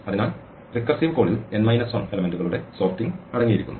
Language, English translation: Malayalam, So, the recursive call it consists of sorting of n minus 1 elements